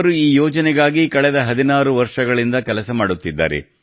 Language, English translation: Kannada, She has been working on this project for the last 16 years